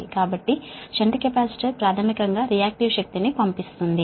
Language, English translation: Telugu, so shunt capacitor, basically it injects reactive power